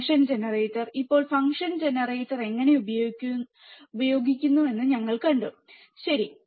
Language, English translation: Malayalam, Use function generator, now function generator we have seen how function generator is used, right